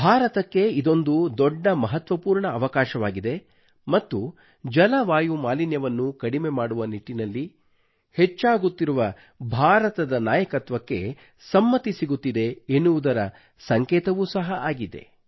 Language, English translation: Kannada, This is a very important achievement for India and it is also an acknowledgement as well as recognition of India's growing leadership in the direction of tackling climate change